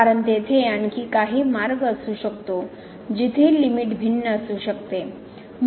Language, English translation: Marathi, Because there may be some other path where the limit may be different